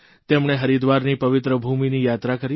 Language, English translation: Gujarati, He also travelled to the holy land of Haridwar